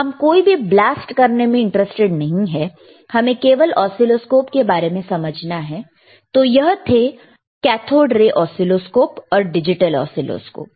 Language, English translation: Hindi, But anyway, we are not interested in blasting anything, we are interested in understanding the oscilloscope; so cathode oscilloscope here, digital oscilloscopes here